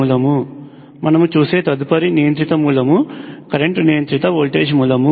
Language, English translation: Telugu, The last of the controlled sources will consider is the current controlled current source